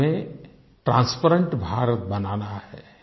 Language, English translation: Hindi, We have to make a transparent India